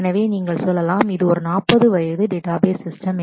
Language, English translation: Tamil, So, you can say, it is a it is a 40 year old database system